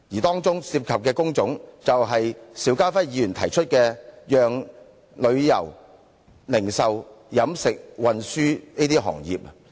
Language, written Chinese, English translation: Cantonese, 當中涉及的工種，就是邵家輝議員提到的旅遊、零售、飲食和運輸等行業。, The trades and industries involved in the statistics were tourism retailing catering and transportation etc . which are mentioned by Mr SHIU Ka - fai in his motion